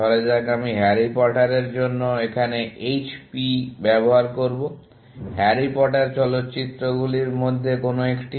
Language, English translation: Bengali, Let us say, I will use HP for Harry Potter, one of the Harry Potter films